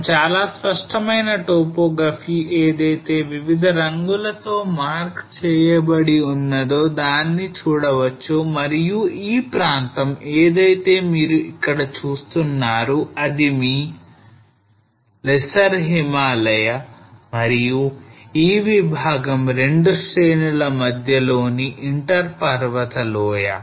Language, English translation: Telugu, So we see a very clear cut topography which has been marked by different colors here and this region what you see here is your lesser Himalayas and this portion is your inter mountain valley between the 2 ranges